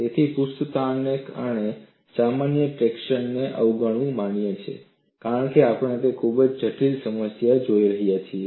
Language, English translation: Gujarati, So, neglecting the normal traction due to surface tension is permissible, because we are looking at a very complex problem